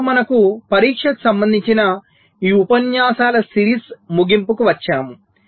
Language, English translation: Telugu, ok, so with this we come to the end of this series of lectures on testing